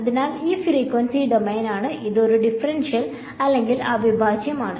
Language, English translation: Malayalam, So, it is frequency domain and it is a differential or integral